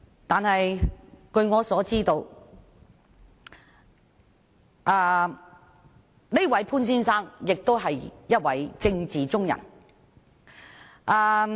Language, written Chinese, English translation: Cantonese, 但是，據我所知，這位潘先生亦是一位政治圈中人。, However as I understand it this Mr POON is also an active member in the political arena